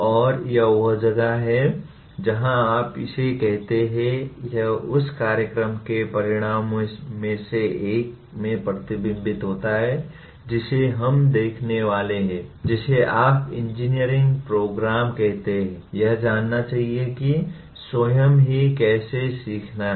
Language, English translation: Hindi, And this is where what do you call this also gets reflected in one of the program outcomes that we are going to look at namely the what do you call a graduate of engineering program should know how to learn by himself